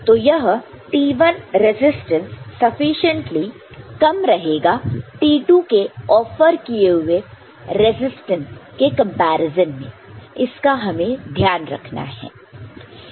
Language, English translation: Hindi, So, this T1 resistance will be sufficiently small compared to resistance offered by T2 that we take note of ok